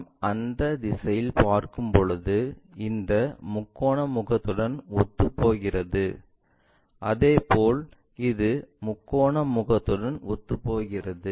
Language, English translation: Tamil, This one when we are looking this direction coincides with this triangular face, similarly this one coincides with that triangular face